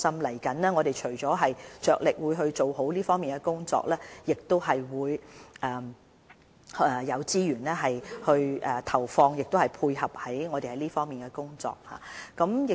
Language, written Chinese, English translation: Cantonese, 未來，我們除了會着力發展這方面的工作外，亦會有資源配合這方面的工作。, I can assure you we will put a lot of efforts in and allocate the necessary resources for this work